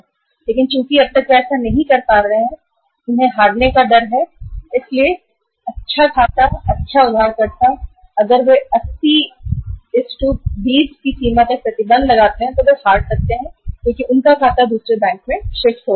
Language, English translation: Hindi, But since they are not doing it so far so what is happening in the fear of losing a good account, good borrower if they impose this restriction of 80, 20 limit they may lose the account because the firm may shift to the another bank